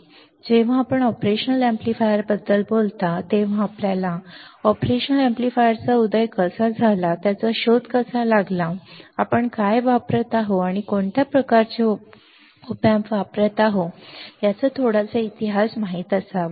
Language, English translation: Marathi, Now, when you talk about operation amplifier you should know little bit history of operational amplifier how it was emerged, and how it was invented and now what we are using or what kind of op amps we are using all right